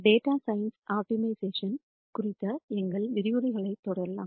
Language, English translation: Tamil, Let us continue our lectures on optimization for data science